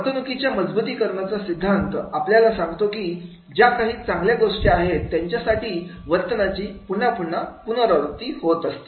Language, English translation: Marathi, The reinforcement of behavior theory talks about that whenever there is a positive reward, then that behavior is again repeated